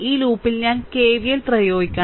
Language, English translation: Malayalam, So, I have to apply your K V L in this loop